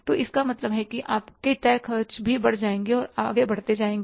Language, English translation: Hindi, So, it means then your fixed expenses will also be going up and will be adding further